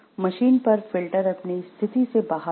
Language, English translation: Hindi, The filter on the machine dropped out of position